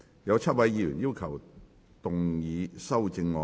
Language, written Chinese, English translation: Cantonese, 有7位議員要動議修正案。, Seven Members will move amendments to this motion